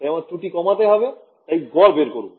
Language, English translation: Bengali, So, I want to minimize that error so, I take an average